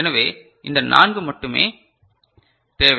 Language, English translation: Tamil, So, only these four are required